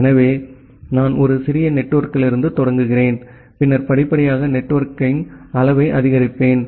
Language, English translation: Tamil, So, I am I am just starting from a very small network then gradually I will increase the network in size